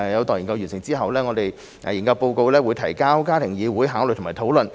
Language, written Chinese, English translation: Cantonese, 待研究完成後，研究報告會提交家庭議會考慮及討論。, The report will be submitted to the Family Council for consideration and discussion upon completion of the study